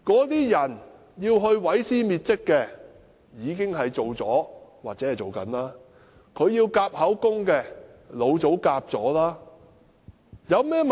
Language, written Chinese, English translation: Cantonese, 那些要毀屍滅跡的人，已經做完了或正在做。要夾口供的，老早已夾好了。, People have destroyed or are in the process of destroying all traces of a crime and they have already aligned their statements